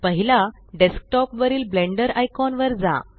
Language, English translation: Marathi, Right Click the Blender icon